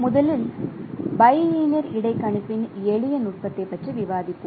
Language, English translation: Tamil, So, first we will be discussing about a very simple technique of bilinear interpolation